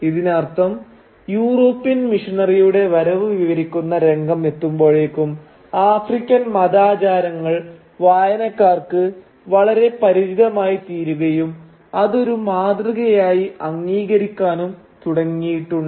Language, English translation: Malayalam, Now, this means that by the time we reached the scene describing the arrival of the European missionary, the African religious world has become so familiar to us readers that we have started accepting it as the norm